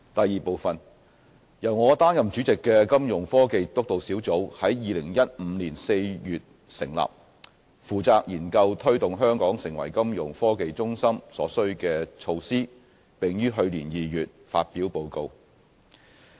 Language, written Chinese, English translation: Cantonese, 二由我擔任主席的金融科技督導小組在2015年4月成立，負責研究推動香港成為金融科技中心所需的措施，並於去年2月發表報告。, 2 The Steering Group on Financial Technologies under my chairmanship was established in April 2015 and was tasked to study measures required to develop Hong Kong into a Fintech hub . The Steering Group released its report in February last year